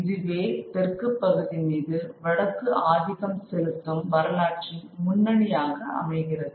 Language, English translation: Tamil, And that's a historic lead that the North has over the South